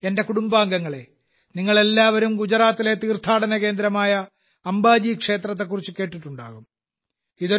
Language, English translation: Malayalam, My family members, all of you must have certainly heard of the pilgrimage site in Gujarat, Amba Ji Mandir